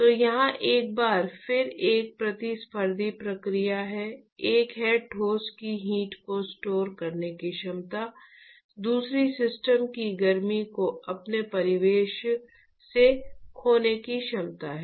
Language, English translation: Hindi, So, there is a once again a competing process here one is the ability of the solid to store heat, the other one is the ability of the system to lose heat to it is surroundings